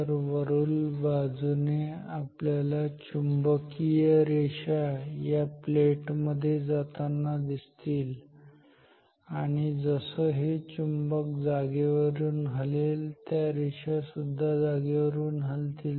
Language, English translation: Marathi, So, from the top we will see the magnetic lines of fields are entering this plate and this as this magnet moves these lines of forces they also move